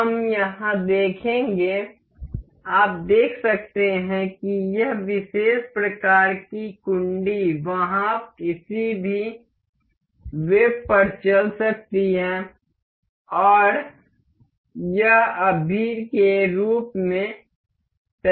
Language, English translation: Hindi, We will see here, the you can see this particular latch kind of thing is movable to any web there and it is not fixed that of as of now